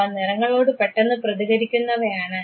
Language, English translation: Malayalam, They are sensitive to colors